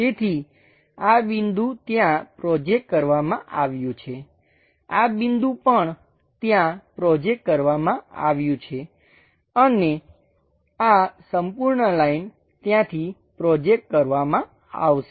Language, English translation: Gujarati, So, this point projected there; this point also projected there and this entire line points will be projected from there